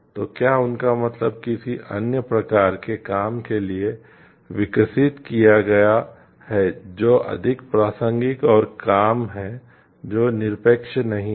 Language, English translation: Hindi, So, can they mean like rescaled for another kind of work, which is more relevant and which the work which is not to become absolute